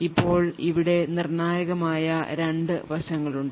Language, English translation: Malayalam, Now the critical part over here are two aspects